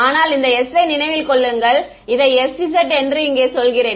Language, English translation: Tamil, But remember this s when I said this s z over here right